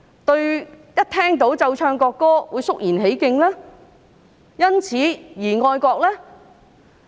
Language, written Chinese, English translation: Cantonese, 市民是否在聽到奏唱國歌時便會肅然起敬，因而變得愛國呢？, Is it that the playing and singing of the national anthem will command great respect from the people hence making them patriotic?